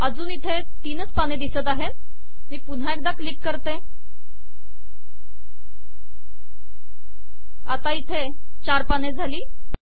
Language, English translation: Marathi, So it still says three, so if click this once more, so it becomes 4